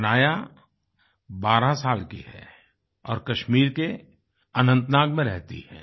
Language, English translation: Hindi, Hanaya is 12 years old and lives in Anantnag, Kashmir